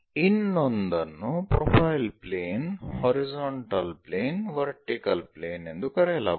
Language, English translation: Kannada, The other one is called profile plane, horizontal plane, vertical plane